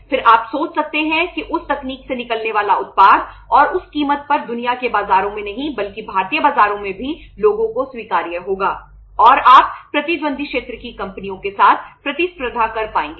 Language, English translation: Hindi, Then you can think of that the product coming out of that technology and at that cost will be acceptable to the people not in the world markets but in the Indian markets also and you would be able to compete with the rival sector companies